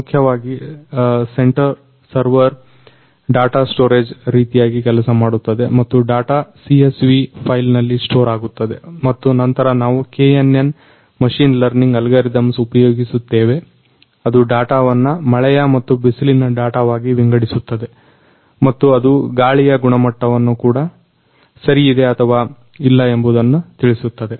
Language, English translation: Kannada, So, basically the centre server will act as a data storage purpose and the data will be stored in a CSV file and later on we will be divide KNN machine learning algorithm which will classify the data into as rainy and sunny and it will also tell us about the air quality whether it is good or bad